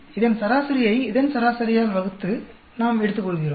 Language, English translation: Tamil, We take the mean of this divided by the mean of this